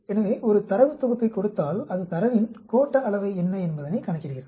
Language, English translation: Tamil, So, given a data set, it calculates what is the skewness of the data